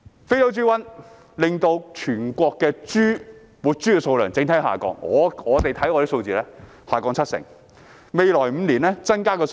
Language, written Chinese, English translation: Cantonese, 非洲豬瘟令到全國的整體活豬數量下降，我們看到數字下降了七成，未來5年也不會增加太多數量。, The total number of live pigs in the country has dropped due to the African swine fever . We notice that the number has dropped by 70 % and the number will not increase significantly in the next five years